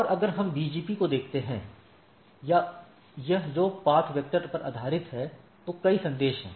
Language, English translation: Hindi, And if we look at the BGP or this which is based on path vector, there are several messaging